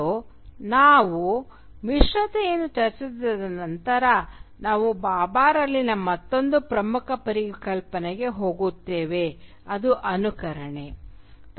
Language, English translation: Kannada, And after we discuss hybridity, we will then move on to another very important concept in Bhabha which is mimicry